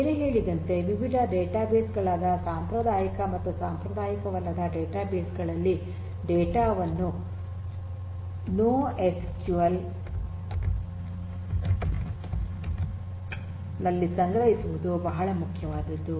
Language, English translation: Kannada, Storing the data in different databases traditional or non traditional data bases such as the NoSQL databases that I mentioned earlier is very important